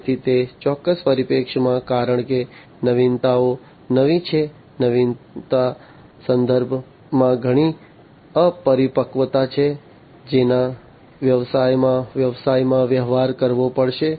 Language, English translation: Gujarati, So, from that particular perspective, because the innovations are new, there is lot of immaturity in terms of innovation, that has to be dealt with in the businesses, in the business